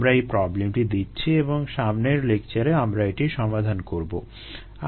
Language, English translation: Bengali, i will assign this problem and solve it in the next lecture